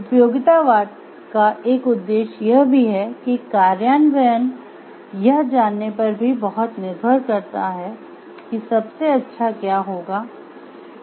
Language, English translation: Hindi, Another object to utilitarianism is that implementation depends greatly on knowing what will lead to the most good